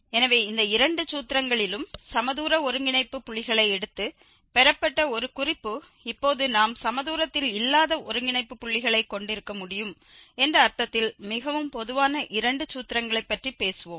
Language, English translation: Tamil, So, this is a note here also that in both the formulas were derived taking equidistant nodal points and now, we will be talking about two more formulations which are more general in the sense that we can have non equidistant nodal points as well